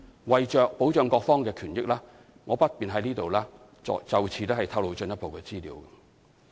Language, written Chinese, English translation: Cantonese, 為保障各方的權益，我不便在此透露進一步資料。, In order to protect the interests of all parties I am in no position to disclose further information here